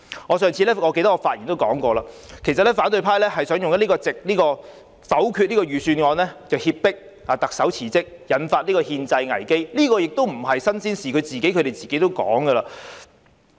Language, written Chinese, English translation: Cantonese, 我在上次發言時提過，反對派想以否決預算案來脅迫特首辭職，引發憲制危機，這並非新鮮事，他們自己也說過了。, As I have mentioned in my previous speech the opposition is trying to force the Chief Executive to resign and trigger a constitutional crisis by voting against the Budget . This is nothing new and they have mentioned about it